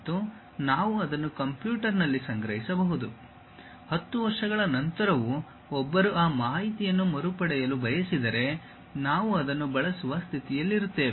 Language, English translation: Kannada, And, all that information we can store it in the computer; even after 10 years if one would like to recover that information, we will be in a position to use that